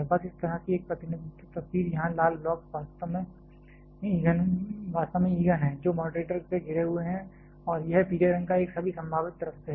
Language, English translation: Hindi, Just a represent picture like this here the red blocks are actually fuel which are surrounded by moderator this yellow colored one from all possible sides